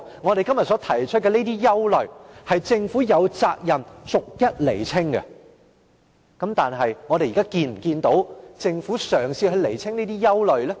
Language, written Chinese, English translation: Cantonese, 我們今天所提出的憂慮，政府有責任逐一釐清，但我們有否見到政府嘗試釐清？, Concerning the worries we talk about today the Government is duty - bound to make clarifications but have we seen the Government making efforts to do so?